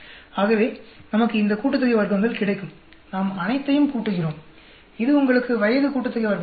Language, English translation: Tamil, So, these are all this sum of squares we get, we add up everything, this will give you the age sum of squares